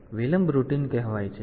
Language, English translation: Gujarati, So, the delay routine is called